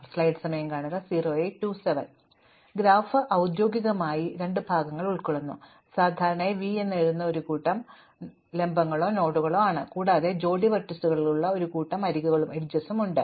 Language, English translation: Malayalam, So, formally a graph just consists of two parts, it has a set of vertices or nodes which is normally written V and there are set of edges which are pairs of vertices